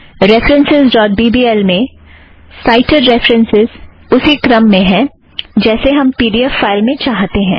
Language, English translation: Hindi, References.bbl has the cited references in the same order as we finally want in the pdf file